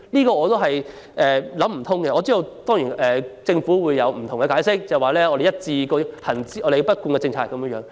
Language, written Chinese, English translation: Cantonese, 我實在想不通，不過我知道政府會有不同解釋，辯稱這是一貫政策。, I really fail to understand the rationale behind but I know the Government will give us all sorts of excuses and argue that this is the established policy